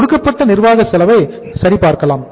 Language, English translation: Tamil, Let us check the administrative cost given